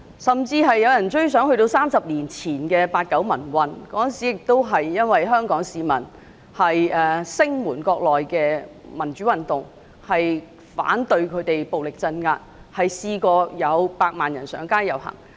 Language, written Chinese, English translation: Cantonese, 甚至有人追溯至30年前的八九民運，當時香港市民聲援國內的民主運動，反對當局暴力鎮壓，有百萬人上街遊行。, Some people have even traced back to the 1989 pro - democracy movement 30 years ago when 1 million Hong Kong people took to the streets to express their support for the pro - democracy movement in the Mainland and their opposition to violent suppression by the authorities